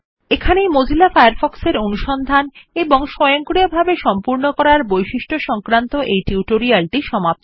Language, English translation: Bengali, This concludes this tutorial of Mozilla Firefox Searching and Auto complete features